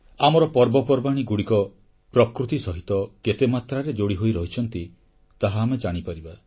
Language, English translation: Odia, We can witness how closely our festivals are interlinked with nature